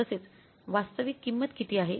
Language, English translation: Marathi, What is the actual quantity